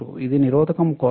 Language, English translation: Telugu, This is for resistor